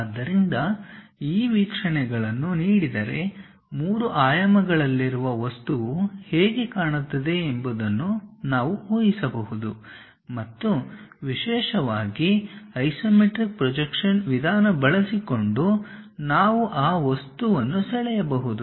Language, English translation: Kannada, So, if these views are given, can we guess how an object in three dimensions looks like and especially can we draw that object using isometric projection method